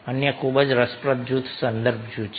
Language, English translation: Gujarati, another very interesting group is reference group